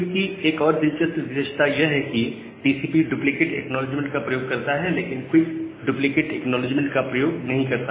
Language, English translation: Hindi, Another interesting feature in QUIC is that TCP uses this duplicate acknowledgment, but QUIC does not use the duplicate acknowledgement